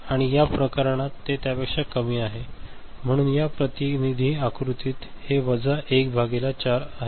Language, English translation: Marathi, And in this case it is less than that, so this is minus 1 by 4 in this representative diagram ok